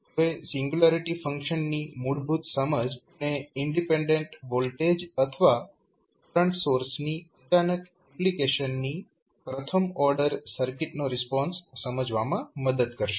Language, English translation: Gujarati, Now, the basic understanding of singularity function will help you to understand the response of first order circuit to a sudden application of independent voltage or current source